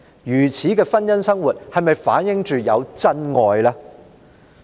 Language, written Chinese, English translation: Cantonese, 如此的婚姻生活是否反映有真愛？, Can such a marriage reflect true love?